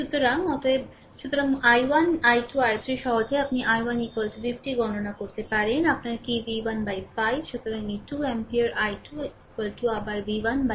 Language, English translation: Bengali, So, therefore, therefore, i 1, i 2, i 3 easily, you can calculate i 1 is equal to 50 minus your what v 1 by 5